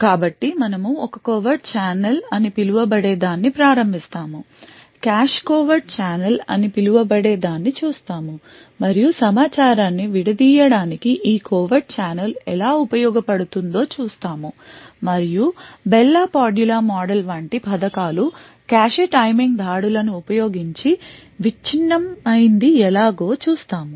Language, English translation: Telugu, So we would start with something known as a covert channel we look at something known as a cache covert channel and we would see how this covert channel could be used to break information and we would see how schemes such as the Bell la Padula model can be broken using cache timing attacks